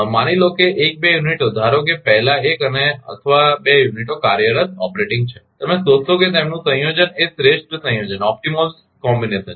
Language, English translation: Gujarati, Suppose 1 to unit suppose first 1 or 2 units are operating and you found that their combination optimal combination